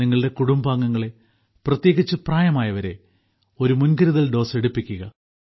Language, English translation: Malayalam, Make your family members, especially the elderly, take a precautionary dose